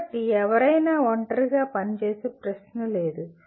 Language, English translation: Telugu, So there is no question of anyone working in isolation